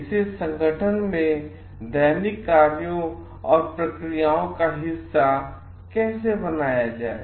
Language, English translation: Hindi, How to make it a part of the daily functions and procedures in the organization